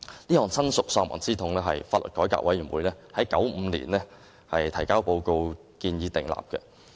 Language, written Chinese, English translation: Cantonese, 這項親屬喪亡之痛是法律改革委員會在1995年提交報告建議訂立的。, The bereavement legislation was first proposed by the Law Reform Commission in its report in 1995